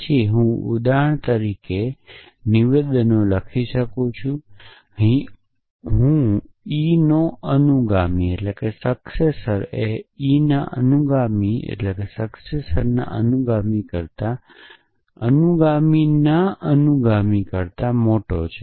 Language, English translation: Gujarati, Then I can write statements for example, I can say successor of e greater than successor of successor of e